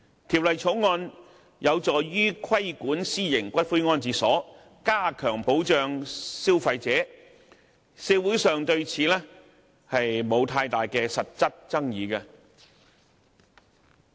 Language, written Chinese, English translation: Cantonese, 《條例草案》有助於規管私營骨灰安置所，加強保障消費者，社會上對此並沒有太大實質爭議。, The Bill will help to regulate private columbaria and enhance consumer protection and there are not many substantial disputes about the Bill in the community